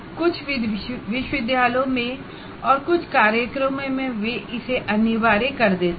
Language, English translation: Hindi, In some universities, in some programs, they make it mandatory